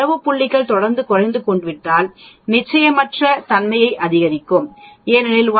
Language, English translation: Tamil, If the data points keep going down the uncertainty also goes up because from 1